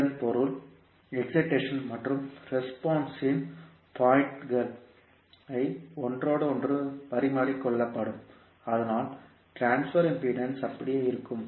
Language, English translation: Tamil, It means that the points of excitation and response can be interchanged, but the transfer impedance will remain same